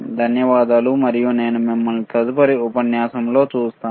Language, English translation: Telugu, Thank you and I will see you in the next module